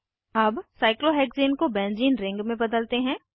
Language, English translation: Hindi, Let us now convert cyclohexane to a benzene ring